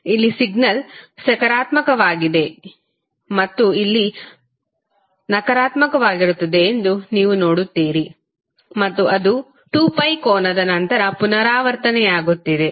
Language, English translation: Kannada, So, here you see the signal is positive and here it is negative and again it is repeating after the angle of 2 pi